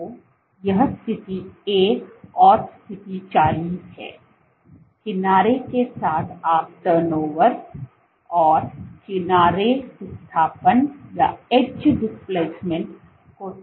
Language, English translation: Hindi, So, this is position 1 and position 40, along the edge you can track the turn over, the edge displacement